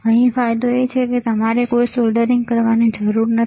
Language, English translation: Gujarati, The advantage here is you do not have to do any soldering